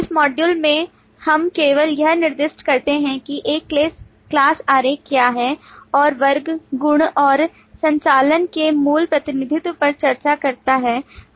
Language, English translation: Hindi, In this module we just specify what is a class diagram and discuss the basic representation of class property and operations